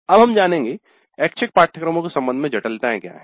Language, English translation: Hindi, Now what are the complexities with respect to the elective courses